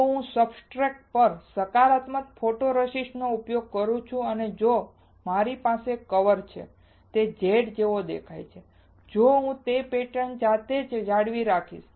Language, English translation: Gujarati, If I use positive photoresist on the substrate and if I have a mask which looks like Z, then I will retain the similar pattern itself